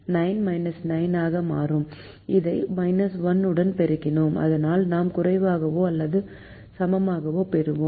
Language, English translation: Tamil, we multiplied this also the with minus one so that we get less than or equal to